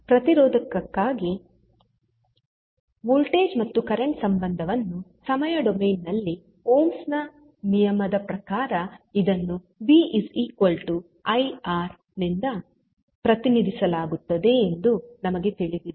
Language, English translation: Kannada, So, for resistor the voltage current relationship in time domain we know that it is given by v is equal to I into r that is as per ohms law